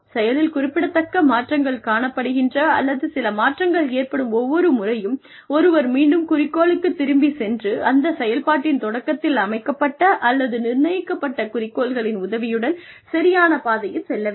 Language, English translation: Tamil, Every time, something significant changes, or there is some change in, how things are progressing, one can always go back to the objective, and stay on track, with the help of the objectives, that have been set, or put in place, right in the beginning of that activity